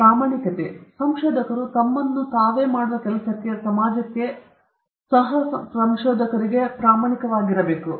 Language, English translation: Kannada, One is honesty; honesty of researchers to himself, to the work which he does, to the society, to fellow researchers